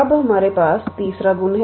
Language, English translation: Hindi, Now, we have the third property